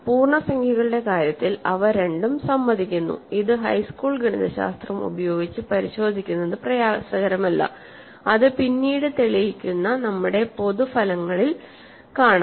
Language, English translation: Malayalam, In the case of integers, they both agree, which is not difficult to check using high school arithmetic and elsewhere it will follow from our general results that we will prove later